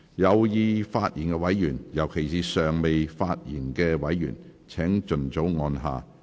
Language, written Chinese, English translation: Cantonese, 有意發言的委員，尤其是尚未發言的委員，請盡早按下"要求發言"按鈕。, Members who wish to speak especially those who have not yet spoken please press the Request to speak button as soon as possible